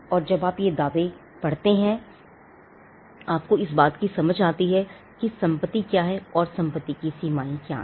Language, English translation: Hindi, And these claims when you read will give you an understanding of what are the boundaries of the property what are the limits of the property